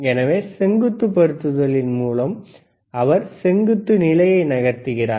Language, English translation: Tamil, So, a vertical positioning he is moving the vertical position